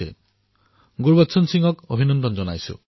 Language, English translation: Assamese, Congratulations to bhaiGurbachan Singh ji